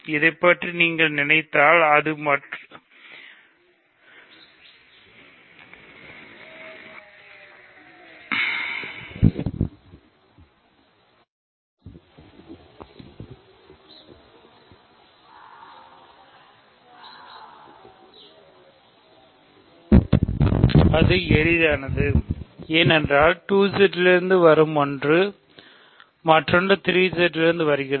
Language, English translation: Tamil, That is easy if you think about this, because something coming from 2Z, another thing coming from 3Z